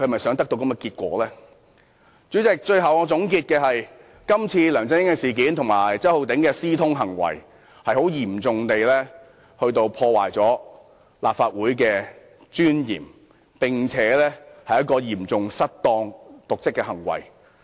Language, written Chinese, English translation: Cantonese, 主席，我的結論是，這次梁振英和周浩鼎議員的私通事件，嚴重破壞立法會的尊嚴，是嚴重的瀆職行為。, President my conclusion is that the collusion between LEUNG Chun - ying and Mr Holden CHOW in this incident has undermined the dignity of the Legislative Council and constituted a serious dereliction of duty